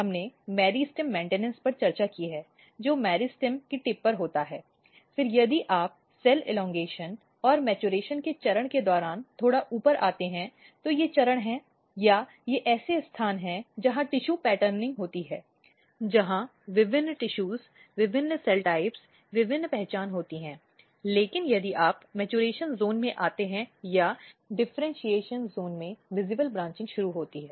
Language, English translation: Hindi, We have discussed the meristem maintenance which happens at the tip of the meristem, then if you come slightly higher side during the stage of cell elongation and maturation, these are the stages or these are the places where tissue patterning occurs where different tissues, different cell types, different identities are taken place, but if you come in the maturation zone or in the differentiation zone the branching basically visible branching start